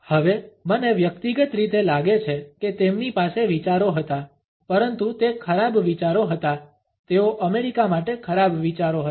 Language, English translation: Gujarati, Now, I personally think they had ideas, but they were bad ideas they were bad ideas for America all of the